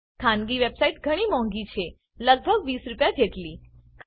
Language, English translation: Gujarati, Private websites are more expensive about Rs